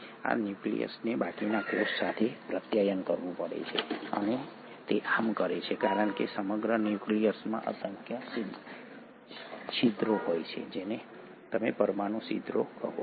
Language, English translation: Gujarati, This nucleus has to communicate with the rest of the cell and it does so because the entire nucleus has numerous openings which is what you call as the nuclear pores